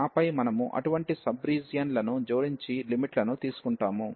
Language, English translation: Telugu, And then we add such sub regions and take the limits